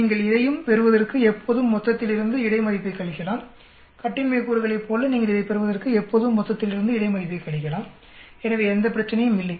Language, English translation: Tamil, You can always subtract total minus between to get this also just like a degrees of freedom you subtract total minus between to get this so no problem